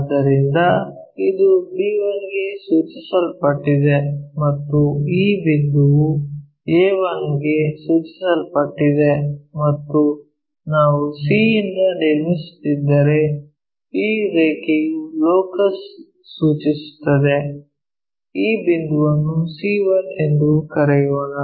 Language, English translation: Kannada, So, this one maps to b 1 and this point maps to a 1 and this line maps to are the locus if we are constructing from c this point let us call c 1